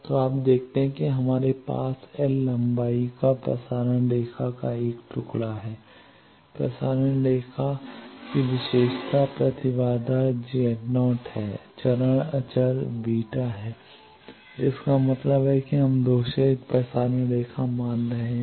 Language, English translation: Hindi, So, you see we have a piece of transmission line of length l characteristic impedance of the transmission line is Z naught phase constant is beta that means, we are assuming lossless transmission line